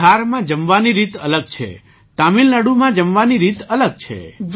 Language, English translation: Gujarati, In Bihar food habits are different from the way they are in Tamilnadu